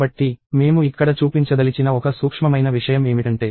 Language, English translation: Telugu, So, one subtle thing that I want to show here is this other notion of